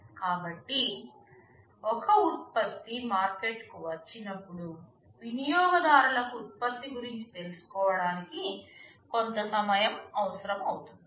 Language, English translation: Telugu, So, what happens when a product comes to the market, well the users or the customers need some time to learn about the product